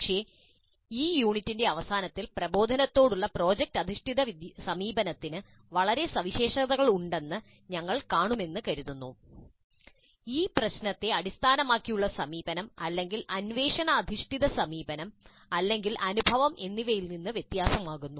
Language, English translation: Malayalam, But hopefully at the end of this unit, you will see that there are very distinctive features of project based approach to instruction which makes it different from problem based approach or inquiry based approach or even experience based approach